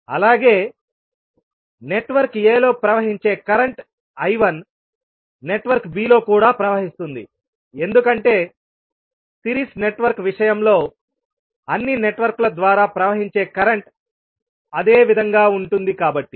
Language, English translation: Telugu, Also, the current I 1 which is flowing in the network a will also flow in network b because in case of series network the current flowing through all the networks will remain same